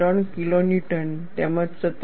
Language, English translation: Gujarati, 3 kilo Newton’s as well as 17